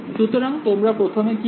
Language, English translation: Bengali, So, what would you first do